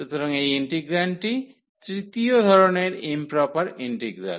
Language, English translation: Bengali, So, this is another for the second kind of integral